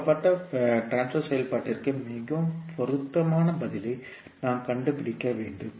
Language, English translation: Tamil, So we need to find out the most suitable answer for given transfer function